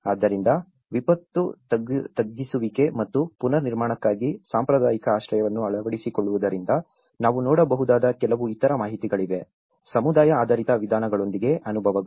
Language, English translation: Kannada, So, there is also some other information we can see from adapting traditional shelter for disaster mitigation and reconstruction, experiences with community based approaches